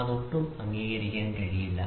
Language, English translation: Malayalam, So, this cannot be accepted at all